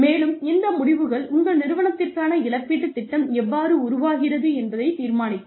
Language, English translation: Tamil, And, these decisions, will in turn determine, how the compensation plan for your organization develops